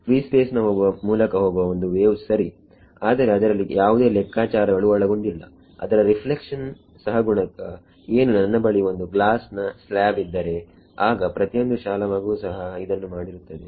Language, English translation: Kannada, A wave through free space ok, but there is no calculation involved over there what is what reflection coefficient if I have a slab of glass then every school kid has done